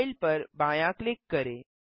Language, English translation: Hindi, Left click File